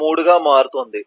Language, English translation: Telugu, 3 will follow 5